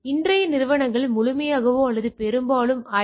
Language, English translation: Tamil, So, today’s enterprise are fully or mostly IT enabled, right